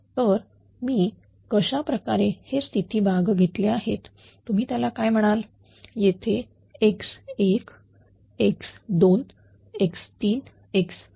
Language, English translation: Marathi, So, I have taken state variable like this you are what you call here x 1, x 1, x 2, x 3, x 4